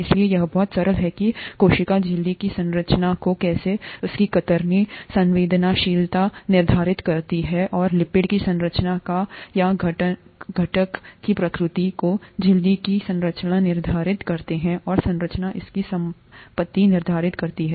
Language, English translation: Hindi, So that is very simply how the structure of the cell membrane determines its shear sensitivity, and the structure of the lipids or or the constituents the nature of the constituents determine the structure of the membrane and the structure determines its property